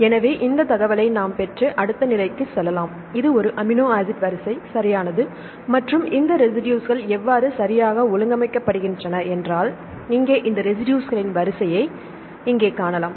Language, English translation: Tamil, So, we can get this information and go to next level right here you can see the arrangement of this residues right here if this is the just the amino acid sequence right and when how these residues are arranged right